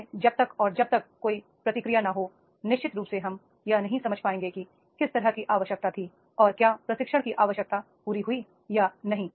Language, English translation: Hindi, So, unless and until there is not a feedback, then definitely then we will not be able to understand that is the what sort of the requirement was there and that has been fulfilled the requirement of the trainees are not